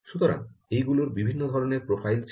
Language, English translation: Bengali, so there were different types of profiles